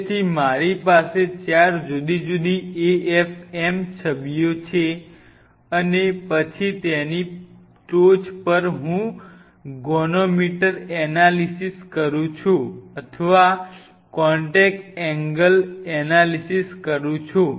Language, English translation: Gujarati, So, I have 4 different afm images, and then on top of that I do a goniometer analysis or contact angle analysis